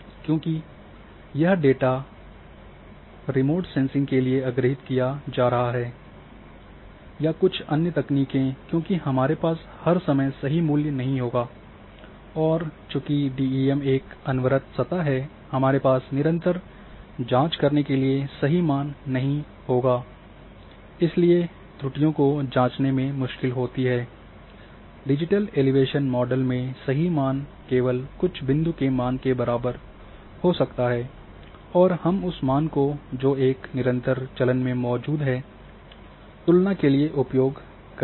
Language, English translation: Hindi, Because when, the data is being acquired to remote sensing techniques or some other techniques we do not have all the time the true values and the since DEM is a continuous surface we do not have the true values to check continuously corresponding continuous values and therefore, accessing the errors comes very difficult the true values be might be having only few point values only again those point values we can we can compare with the value which has which are present in a continuous fashion in the digital elevation model